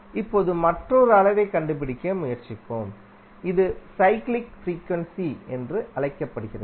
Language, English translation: Tamil, Now let's try to find out another quantity which is called cyclic frequency